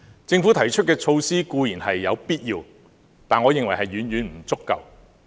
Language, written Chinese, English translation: Cantonese, 政府提出的措施固然有必要，但我認為是遠遠不足夠的。, It is certainly necessary for the Government to put forth these measures but I do not think they are adequate